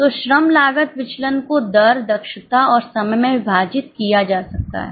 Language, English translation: Hindi, So, labour cost variance can be divided into rate, efficiency and time